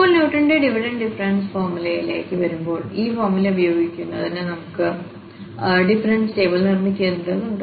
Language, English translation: Malayalam, Now, coming to the Newton's Divided Difference formula, we have to construct the difference table to use this formula